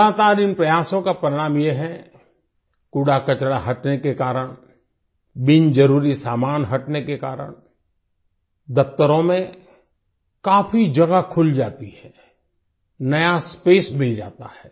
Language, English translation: Hindi, The result of these continuous efforts is that due to the removal of garbage, removal of unnecessary items, a lot of space opens up in the offices, new space is available